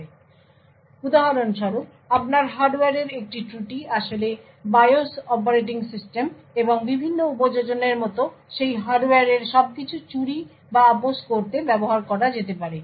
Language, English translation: Bengali, So, for example, a flaw in your hardware could actually be used to steal or compromise everything about that hardware like the BIOS operating system and the various applications